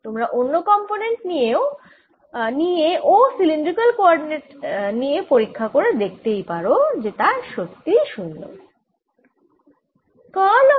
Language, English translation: Bengali, you can take the other components and cylindrical coordinates and check for yourself that they are indeed zero